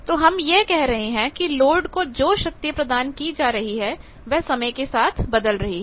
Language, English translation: Hindi, So, we can say that with these we can say, power delivered to load will be changing with time